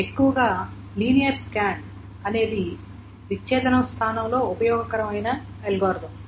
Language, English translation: Telugu, But mostly it's the linear scan that is the most useful algorithm in place of disjunction